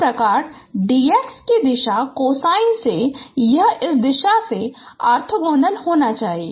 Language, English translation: Hindi, Similarly for the from the direction cosine of d x prime it should be orthogonal to this direction